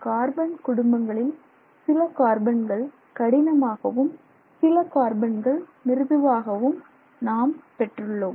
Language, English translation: Tamil, Amongst the family of disordered carbons you can have something called hard carbon and something else called soft carbon